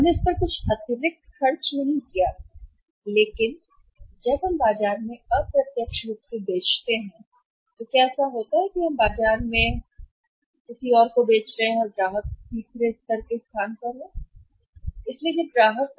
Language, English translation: Hindi, We did not to spend anything extra on that but when we sell indirectly in the market that what happens we are manufacturing somebody else is selling in the market and customer is at the third level